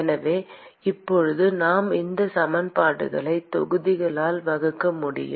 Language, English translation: Tamil, So, now we can simply divide these equations by the volume